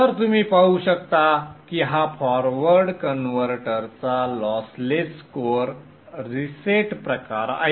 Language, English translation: Marathi, So as you can see this is the lossless core reset type of forward converter